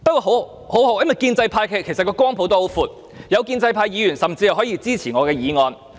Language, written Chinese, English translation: Cantonese, 幸好，建制派的光譜也很闊，有建制派議員甚至可以支持我的議案。, Fortunately there is a very wide spectrum in the pro - establishment camp and some pro - establishment Members are even willing to support my motion